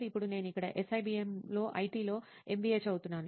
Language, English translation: Telugu, Now I am here pursuing MBA in IT in SIBM